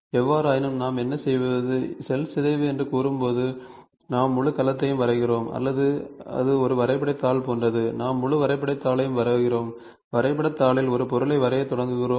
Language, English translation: Tamil, But however, when we say cell decomposition what we do is, we draw the entire cell or it is like a graph paper, we draw entire graph paper and on the graph paper we start drawing an object ok